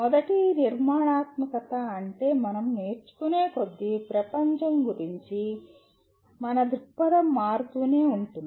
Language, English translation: Telugu, First constructivism is what it believes is as we keep learning our view of the world keeps changing